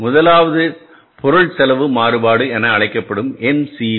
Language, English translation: Tamil, First is the material cost variance which is called as MCB